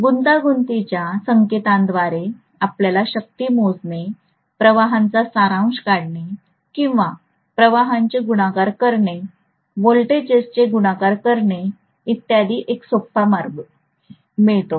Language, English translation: Marathi, So complex notation gives us a very easy way for calculating power, calculating summation of currents or multiplication of currents, multiplication of voltages and so on